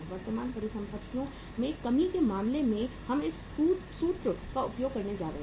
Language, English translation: Hindi, In case of decrease in the current assets we are going to use this formula